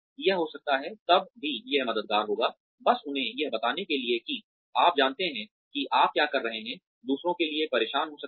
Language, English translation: Hindi, It may, even then, it would be helpful, to just tell them that, you know, what you are doing, may be disturbing for others